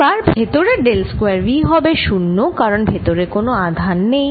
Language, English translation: Bengali, now, del square v inside is going to be zero because there is no charge